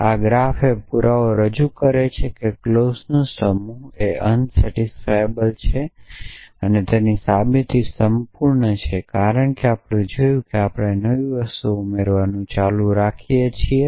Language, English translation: Gujarati, So, this graph represents the proof that the given set of clauses is unsatisfiable and the proof wholes, because of this equivalence that we have seen that we are keep adding new things